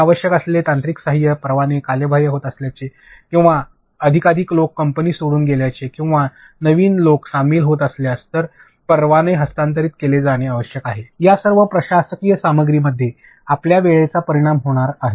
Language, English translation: Marathi, Any technical support that they require, if licenses are getting expired or if sometimes people leave the company or new people joining, licenses need to be transferred, all of this admin stuff it takes time it is going to affect your time